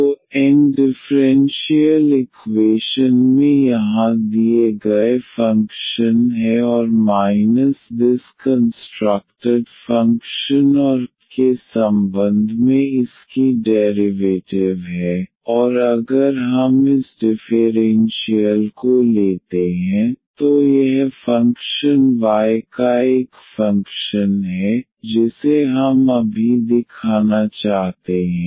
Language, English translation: Hindi, So, N is the given function here in the differential equation and minus this constructed function and its derivative with respect to y, and if we take this difference here this function is a function of y alone this we want to show now before the construction of the function f